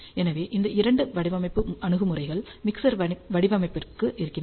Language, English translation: Tamil, So, these are the two design approaches that are available for Mixer Design